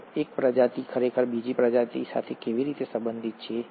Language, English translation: Gujarati, And how is one species actually related to another